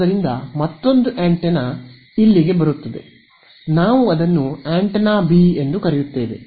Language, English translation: Kannada, So, another antenna comes in over here we will call it antenna B ok